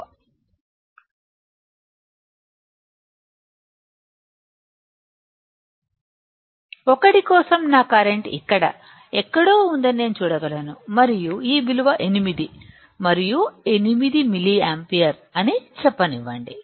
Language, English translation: Telugu, For 1, I can see here my current is somewhere here and let say this value is 8 and 8 milliampere